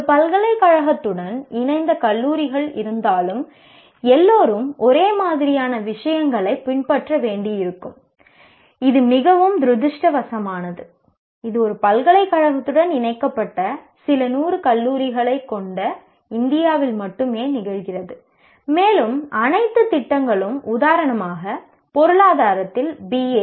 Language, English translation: Tamil, Though in your colleges affiliated to a university, everybody will have to follow the same thing, which is very unfortunate and that happens only in India where you have a few hundred colleges affiliated to one university and all programs will have to be, for example, BA in economics offered in all the affiliated colleges will have to be practically identical